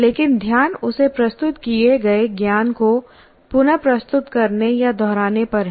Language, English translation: Hindi, But he is essentially the focus is on reproducing the or repeating the knowledge that is presented to him